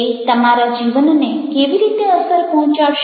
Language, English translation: Gujarati, how it is going to impact your work life